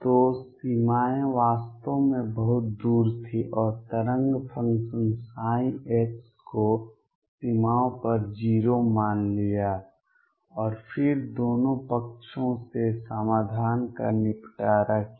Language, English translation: Hindi, So, the boundaries were really far off and taken the wave function psi x to be 0 at the boundaries, and then dealt up the solution from both sides